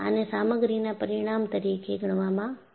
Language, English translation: Gujarati, And, this is considered as a material parameter